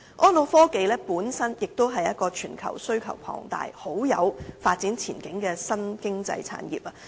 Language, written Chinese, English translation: Cantonese, 安老科技亦是全球需求龐大，很有發展前景的新經濟產業。, Elderly care technology is a new economic industry with a huge global demand and promising prospects